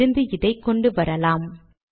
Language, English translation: Tamil, Let me bring it from there